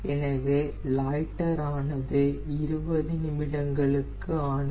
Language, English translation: Tamil, so loiter for twenty minutes